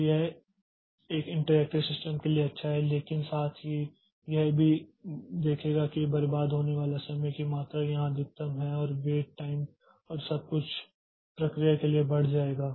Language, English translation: Hindi, So, this is good for an interactive system but at the same time we'll see that the amount of time wasted is the maximum here and the wait time and everything will go up for the processes